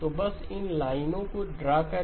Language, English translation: Hindi, So just draw these lines